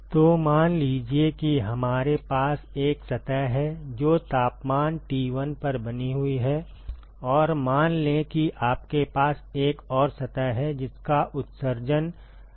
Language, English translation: Hindi, So, supposing we have one surface which is maintained at temperature T1 and let us say you have another surface whose emissivity is epsilon1